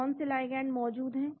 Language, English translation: Hindi, What are the ligands present